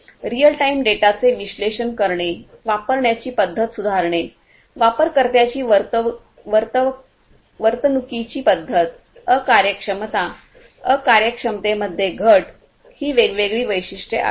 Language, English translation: Marathi, Analyzing real time data, improving the usage pattern, behavioral pattern of users, inefficiency, reduction of inefficiency